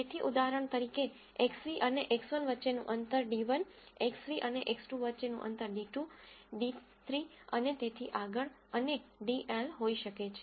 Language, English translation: Gujarati, So for example, there could be a distance d 1 between X nu and X 1, d 2 between X nu and X 2, d 3 and so on and dl